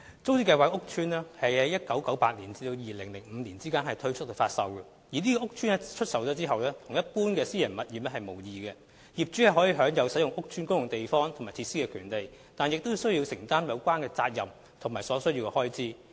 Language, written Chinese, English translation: Cantonese, 租置屋邨在1998年至2005年之間推出發售，這些屋邨出售後，與一般私人物業無異，業主享有使用屋邨公共地方和設施的權利，但亦須承擔有關責任及所需開支。, Flats in TPS estates were sold between 1998 and 2005 . After those flats were sold TPS estates are the same as private properties . Owners have the right to use the common areas and facilities in the estates but they also have to bear the relevant responsibilities and costs